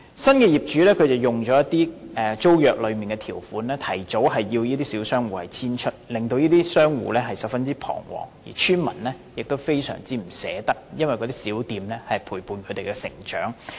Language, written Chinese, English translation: Cantonese, 新業主運用租約內的條款，提早要求這些小商戶遷出，令商戶十分彷徨，而邨民也非常依依不捨，因為這些小店陪伴他們成長。, The new owner made use of the terms of the tenancy agreement to require these small shop tenants to move out before the expiry of the tenancy . The shop tenants were in great distress while residents of the estate were also reluctant to part with these shops for these shops had been in the neighbourhood throughout the years